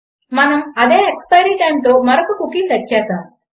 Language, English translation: Telugu, Weve set another cookie with the same expiry time